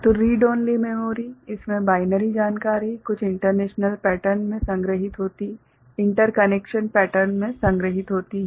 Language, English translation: Hindi, So, Read Only Memory in this the binary information is stored in certain interconnection pattern